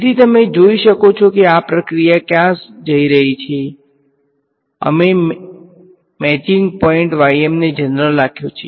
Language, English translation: Gujarati, So, you can see where this process is going right here I have kept the matching point ym is kept general